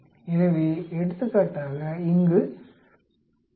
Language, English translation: Tamil, So here for example, minus 11